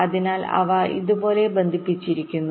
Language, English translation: Malayalam, so they are connected like this